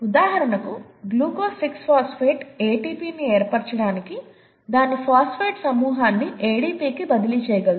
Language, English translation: Telugu, For example, glucose 6 phosphate can transfer its phosphate group to ADP to form ATP